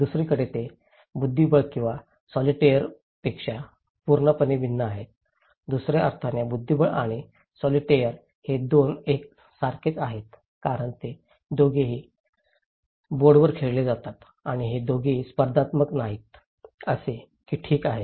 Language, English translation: Marathi, On the other hand, they are completely different from chess or solitaire, in other sense that chess and solitaire are quite similar because they both are played on board and they both are not competitive as such okay